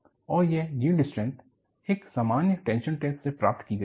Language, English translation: Hindi, And, this yield strength was obtained from a simple tension test